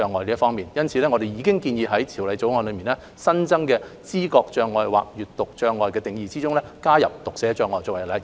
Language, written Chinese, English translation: Cantonese, 因此，我們建議在《條例草案》新增的知覺障礙或閱讀障礙的定義中，加入讀寫障礙作為例子。, Therefore we propose including dyslexia as an example in the newly added definition of perceptual or reading disability in the Bill